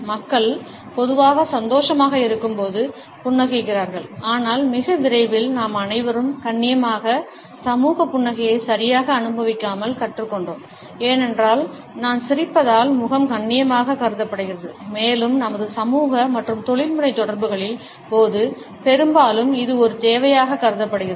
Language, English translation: Tamil, People normally smile when they are happy, but very soon all of us learned to pass on polite social smiles without exactly feeling happy, because as I smiling face is considered to be polite and often considered to be a necessity during all our social and professional interaction